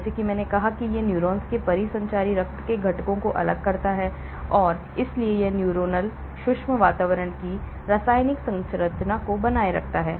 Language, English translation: Hindi, Like I said it separates components of the circulating blood from neurons and so maintains the chemical composition of the neuronal micro environment